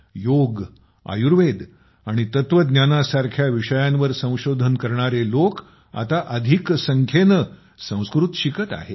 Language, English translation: Marathi, People doing research on subjects like Yoga, Ayurveda and philosophy are now learning Sanskrit more and more